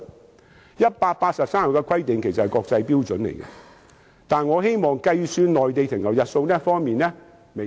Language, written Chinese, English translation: Cantonese, 其實183天的規定是國際標準，但是，我希望在計算內地停留日數方面微調一下。, Actually the 183 - day requirement is an international standard . But I wish to refine the method of computing the length of stay on the Mainland